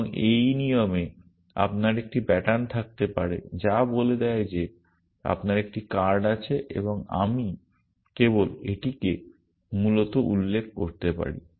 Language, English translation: Bengali, And in this rule I might have a pattern which says that you have a card and I might just specify this essentially